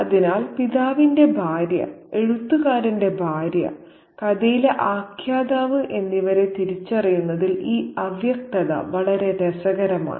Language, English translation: Malayalam, So, this ambiguity is very, very interesting in the identity of the wife of the father, the wife of the writer narrator in the story